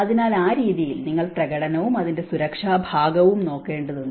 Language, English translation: Malayalam, So, in that way, you have to look at the performance and the safety part of it